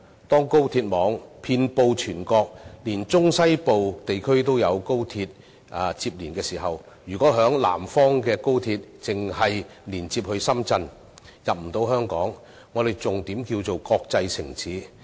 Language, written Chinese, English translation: Cantonese, 當高鐵網遍布全國，連中西部地區亦有高鐵連接時，如果在南方的高鐵只能連接深圳而無法進入香港，我們還如何稱得上國際城市？, When the high - speed rail network covers the whole country reaching as far as the central and western regions if XRL in the southern part only connects Shenzhen but is denied entry to Hong Kong how can we call Hong Kong an international city?